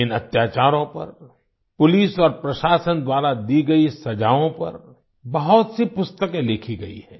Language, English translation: Hindi, Many books have been written on these atrocities; the punishment meted out by the police and administration